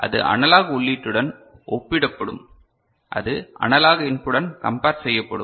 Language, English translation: Tamil, So, that will be compared with the analog input, that will be compared with the analog input